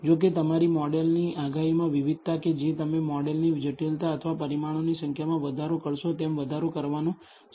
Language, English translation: Gujarati, However, the variability in your model predictions that will start increasing as you increase the model complexity or number of parameters